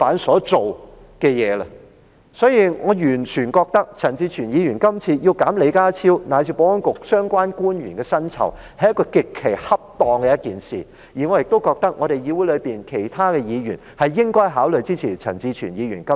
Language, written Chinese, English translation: Cantonese, 所以，我完全認為陳志全議員今次提出削減李家超及保安局相關官員的薪酬，是一件極其恰當的事情，我亦認為議會內其他委員應該考慮支持陳志全議員今次的修正案。, Therefore I fully believe that it is perfectly appropriate for Mr CHAN Chi - chuen to propose to deduct the emoluments of John LEE and the relevant the Security Bureau officials this time . Moreover I hold that other Members in the Council should consider supporting Mr CHAN Chi - chuens current amendment